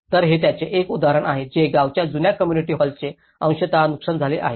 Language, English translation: Marathi, So, this is one example it has been partly damaged to the old community hall of the village